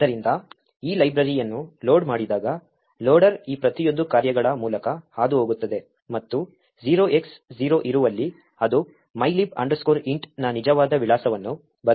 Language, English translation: Kannada, So what is expected is that when this library gets loaded, the loader would pass through each of this functions and wherever there is 0X0 it would replace that with the actual address of mylib int